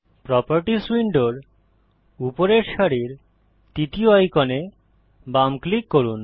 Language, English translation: Bengali, Left click the third icon at the top row of the Properties window